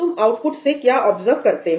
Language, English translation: Hindi, What do you observe from the output